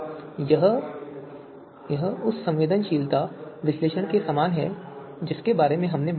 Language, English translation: Hindi, So this is akin to you know sensitivity analysis that we talked about